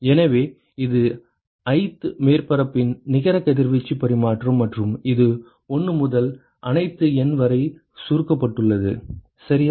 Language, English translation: Tamil, So, this is the net radiation exchange of the ith surface and it is summed over 1 to all N ok